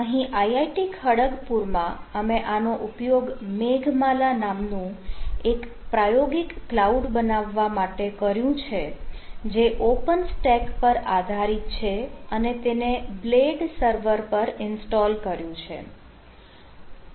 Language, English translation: Gujarati, incidentally, in i i t kharagpur we have a done experimental, we have made experimental cloud called meghamala which is based on open stack and which, which has been ah install over blade server ah, but never the less open stack